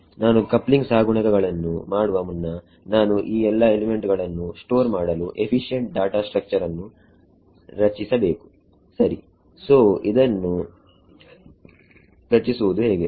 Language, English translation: Kannada, Before I make the coupling coefficients I need to create efficient data structures to store of all these elements rights so, this is creating